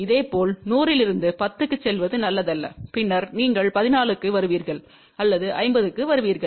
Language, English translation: Tamil, Similarly from 100, it is not a good idea to go to 10 and then you come to 14 or then come to 50